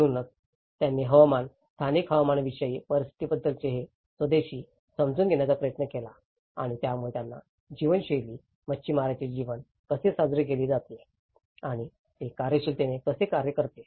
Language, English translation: Marathi, So, they try to have this indigenous understanding of climatic, the local climatic conditions and it will also serving their way of life, how the fisherman's life is also celebrated and how functionally it works